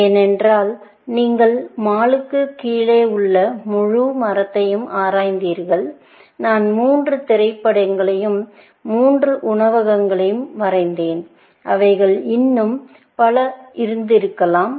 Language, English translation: Tamil, Because you explored the entire tree below mall, and I have drawn three movies and three restaurants; they could have been many more, essentially